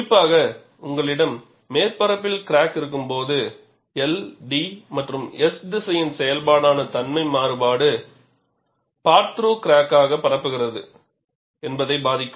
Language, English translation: Tamil, Particularly, when you have a surface crack, the property variation, which is a function of the L, T and S direction can influence how the part through crack can propagate